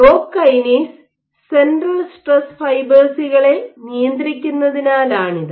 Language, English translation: Malayalam, This is because rock controls central stress fibres